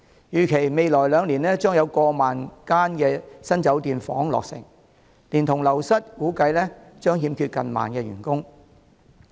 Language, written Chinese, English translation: Cantonese, 預計未來兩年將有過萬間新酒店房間落成，連同流失，估計將欠缺近萬名員工。, With the completion of an estimated over 10 000 new hotel rooms in the next two years taking account of staff turnover there will be a shortfall of nearly 10 000 hotel personnel